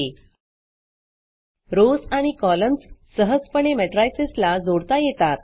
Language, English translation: Marathi, Rows and columns can be easily appended to matrices